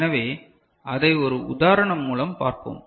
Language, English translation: Tamil, So, that we shall see through an example